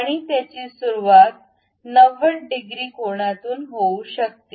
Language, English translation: Marathi, And it can begin at 90 degrees angle